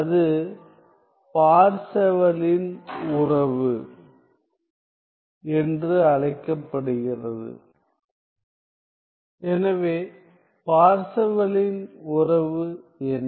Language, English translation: Tamil, So, what is Parseval’s relation